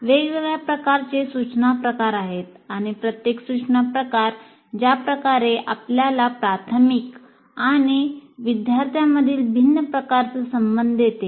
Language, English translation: Marathi, So you have different instruction types and what happens is the way each instruction type gives you a different type of relationship between the instructor and the students